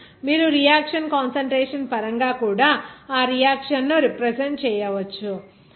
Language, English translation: Telugu, Here, you can also represent that reaction in terms of reactant concentration